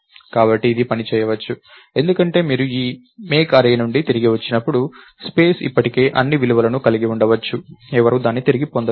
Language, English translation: Telugu, So, this might work, because when you return back from this make array, may be the space is still containing all the values, nobody reclaimed it